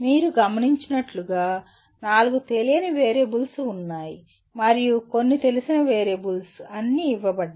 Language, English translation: Telugu, As you can see there are four unknown variables and some known variables are all given